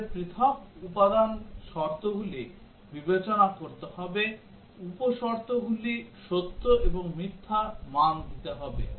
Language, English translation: Bengali, We have to consider the individual component conditions the sub conditions to be given true and false values